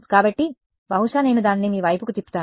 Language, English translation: Telugu, So, maybe I will turn it around to you